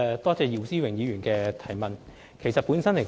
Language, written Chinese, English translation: Cantonese, 多謝姚思榮議員的補充質詢。, Many thanks to Mr YIU Si - wing for his supplementary question